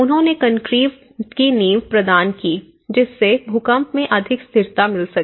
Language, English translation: Hindi, They provided the concrete foundations, so which can give more stability, greater stability towards the earthquake